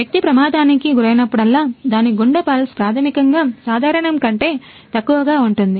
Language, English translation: Telugu, So, that whenever person go through an accident, its heart beats pulse is basically below from the normal